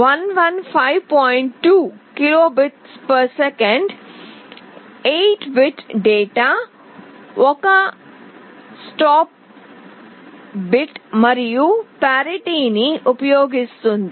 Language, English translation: Telugu, 2 kbps, 8 bit of data, 1 stop bit and parity